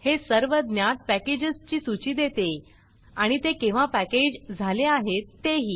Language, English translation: Marathi, It gives a list of all the known packages and when it was packaged